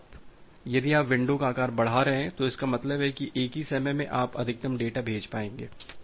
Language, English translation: Hindi, So, size if you are increasing the window size; that means, at the same instance of time you will be able send more data